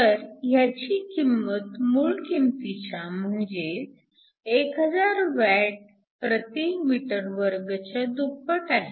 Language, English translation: Marathi, So, it is 2 times the original value is 1000 watts m 2